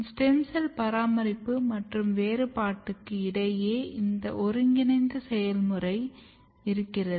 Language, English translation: Tamil, So, the coordination between stem cell maintenance as well as cell differentiation, two things are happening